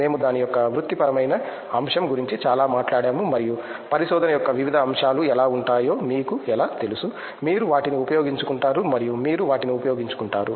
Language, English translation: Telugu, We spoke a lot about the professional aspect of it and how you know may be various aspects of research have been, you became familiar with them you utilize them and so on